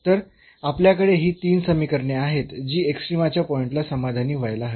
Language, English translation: Marathi, So, we have these 3 equations which has to be satisfied at the point of extrema there